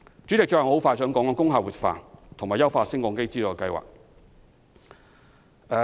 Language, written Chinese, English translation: Cantonese, 主席，最後我想談談工廈活化和優化升降機資助計劃。, President lastly I would like to speak on the revitalization of industrial buildings and the Lift Modernisation Subsidy Scheme